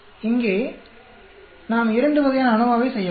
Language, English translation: Tamil, So, here we can do two types of ANOVA